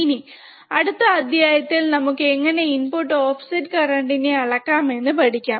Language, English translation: Malayalam, So now, in the next module, let us see how you can measure the input offset current, alright